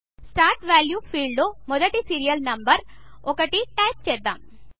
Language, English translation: Telugu, In the Start value field, we will type the first serial number, that is, 1